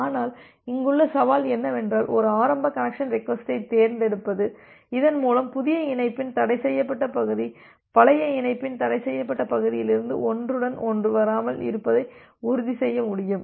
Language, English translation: Tamil, But, the challenge here is to select a initial connection request request in such a way, so that you can ensure that the forbidden region of a new connection does not get overlap from with the forbidden region of an older connection